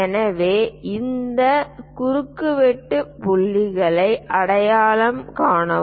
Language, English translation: Tamil, So, identify these intersection points